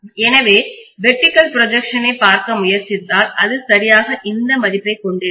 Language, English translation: Tamil, So if I try to look at the vertical projection it will exactly have this value